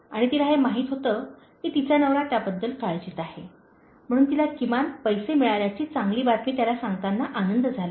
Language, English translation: Marathi, And she knew that her husband worried about that, so she was glad to tell him good news that she has at least got the money